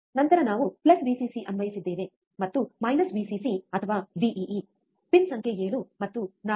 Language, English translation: Kannada, Then we have applied plus Vcc, right and minus Vcc or Vee to the pin number 7 and 4, right